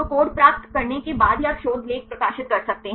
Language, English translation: Hindi, So, the only after you getting the code you can publish you research article